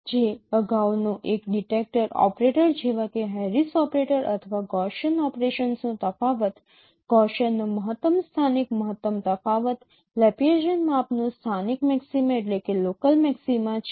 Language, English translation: Gujarati, So the previous one is a replacement of, you know, of the detection detector operator like Harris operator or difference of Gaussian operations, local maxim of difference of Gaussian, local maxima of Laplacean measure for serve